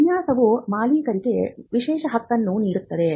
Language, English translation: Kannada, A design offers an exclusive right to the owner